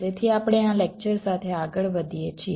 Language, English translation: Gujarati, ok, so we proceed with this lecture